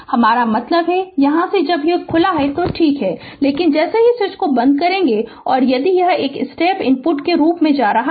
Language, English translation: Hindi, I mean from here when it is open is ok, but as soon as you close the switch and if it is going as a step input